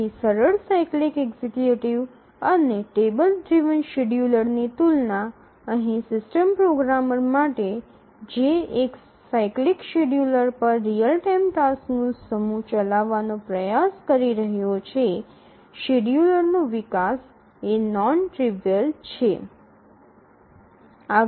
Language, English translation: Gujarati, So, compared to the simple cyclic executive and the table driven scheduler, here for the system programmer who is trying to run a set of real time tasks on a cyclic scheduler, the development of the schedule is non trivial